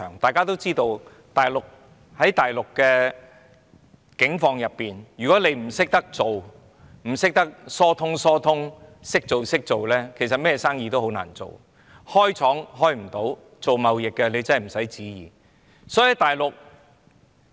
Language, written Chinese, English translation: Cantonese, 大家都知道大陸的境況，如果不懂做人，不懂疏通的話，其實任何生意也很難做，要開設工廠或做貿易生意都會很困難。, We all know about the situation on the Mainland . If you do not follow the practice or resort to some facilitating means on the Mainland it will be very difficult to do any business including operating factories or engaging in trading businesses